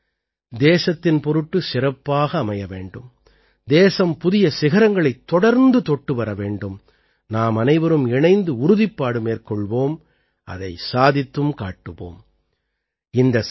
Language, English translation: Tamil, May this year also be special for the country, may the country keep touching new heights, and together we have to take a resolution as well as make it come true